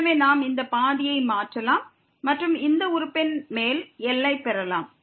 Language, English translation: Tamil, So, we can replace this half also and get the upper bound for this term